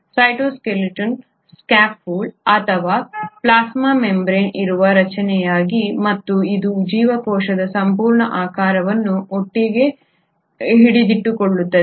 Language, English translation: Kannada, The cytoskeleton is the scaffold or the structure on which the plasma membrane rests and it holds the entire shape of the cell together